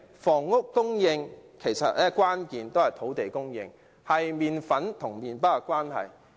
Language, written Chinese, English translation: Cantonese, 房屋供應的關鍵是土地供應，相等於麪粉與麪包的關係。, Housing supply hinges on land supply which is the same as the relationship between flour and bread